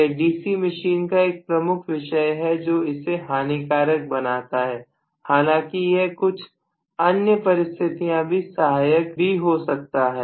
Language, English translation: Hindi, So this is one of the major topics in the DC machine which makes it disadvantageous although it is advantageous in so many other ways, right